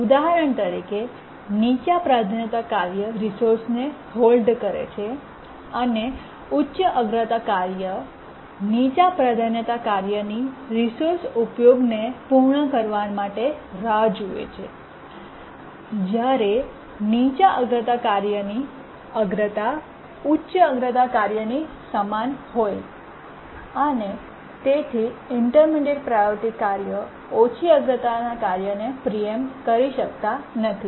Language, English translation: Gujarati, So, this is an example here, low priority task holding the resource, high priority task waiting for the low priority task to complete uses of the resource and the priority of the priority task is raised to be equal to the high priority task so that the intermediate priority task cannot preempt the low priority task and this is called as the priority inheritance scheme